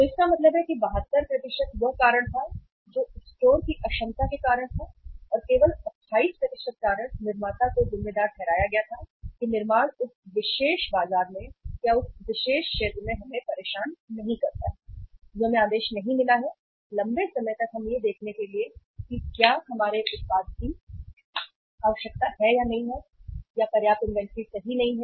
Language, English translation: Hindi, So it means 72% was the reason that is at the store level inefficiency of the store and only 28% reason were attributed to the manufacturer that manufacture did not bother about that in that particular market or in that particular area we have not received the order for long so let us check whether there is a need for our product or not or sufficient inventory is lying